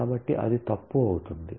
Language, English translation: Telugu, So, that will become wrong